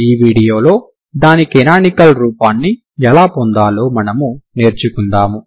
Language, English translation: Telugu, We will work out how to get its canonical form in this video ok